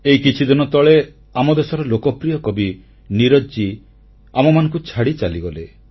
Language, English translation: Odia, A few days ago, the country's beloved poet Neeraj Ji left us forever